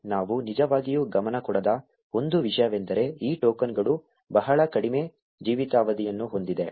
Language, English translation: Kannada, One thing we did not really pay attention to was that these tokens have a very short life span